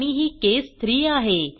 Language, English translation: Marathi, And this is case 3